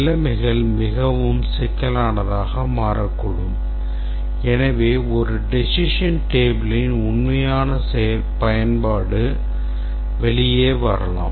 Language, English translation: Tamil, But the conditions can become much more complex and therefore the true use of a decision table can come out